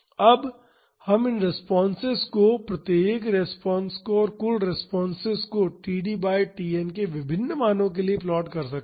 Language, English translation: Hindi, Now, we can plot this responses the individual responses and the total responses for various values of td by Tn